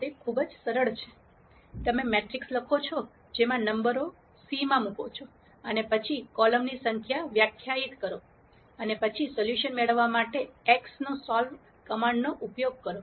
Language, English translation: Gujarati, It is very simple, you write a matrix put the numbers in c and then define the number of columns, you de ne what b is and then simply use the command solve for x to get the solution